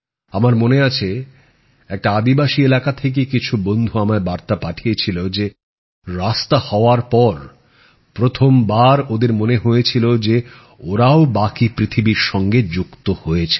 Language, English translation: Bengali, I remember some friends from a tribal area had sent me a message that after the road was built, for the first time they felt that they too had joined the rest of the world